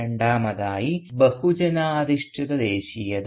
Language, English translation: Malayalam, And second, the mass based Nationalism